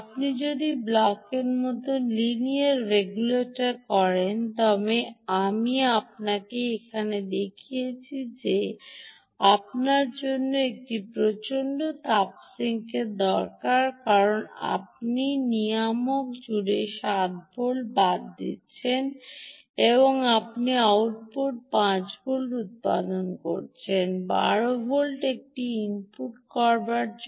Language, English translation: Bengali, if you do a linear regulator, like the block i showed you here, you need a huge heat sink because you are dropping seven volts across the regulator and you are generating five volts at the output for an input of twelve volts